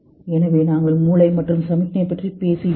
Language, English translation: Tamil, So we're talking about brain and its signal